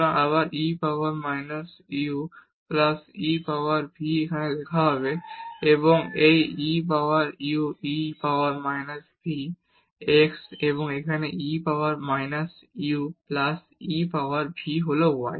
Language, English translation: Bengali, So, again e power minus u plus e power v will come as written here and then this e power u plus e power minus v is x and here e power minus u plus e power v is y